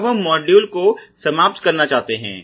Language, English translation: Hindi, As of now we would like to conclude this module